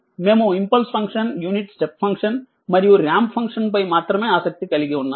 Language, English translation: Telugu, We are only interested in impulse function, unit step function and the ramp right